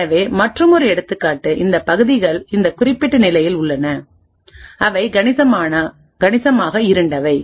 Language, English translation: Tamil, So another example is these regions at this particular point, which are considerably darker